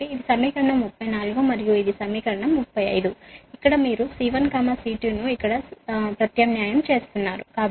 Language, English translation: Telugu, so this is equation thirty four and this is equation thirty five